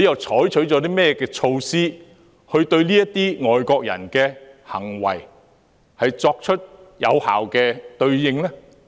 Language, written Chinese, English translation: Cantonese, 採取了甚麼措施，就這些外國人的行為作出有效的對應呢？, What measures have been adopted to effectively address the acts of such foreigners?